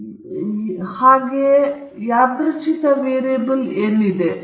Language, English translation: Kannada, First concept is the random variable